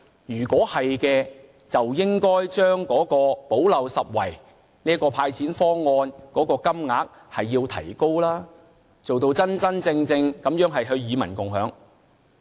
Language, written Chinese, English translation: Cantonese, 如果是的話，便應要提高補漏拾遺"派錢"方案的金額，做到真正與民共享。, If so it should step up the amount of cash being handed out under the gap - plugging measures in order to achieve the principle of sharing the fruit of economic success with the people